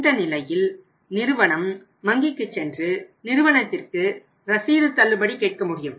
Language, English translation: Tamil, In that case firm can go to the bank and firm can get the bills discounted